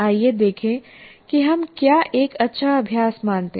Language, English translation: Hindi, Now let us look at what we consider as a good practice